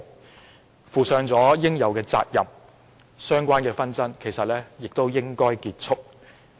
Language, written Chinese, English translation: Cantonese, 他既負起應有的責任，相關的紛爭亦應結束。, As he has assumed his due responsibilities the relevant disputes should come to an end as well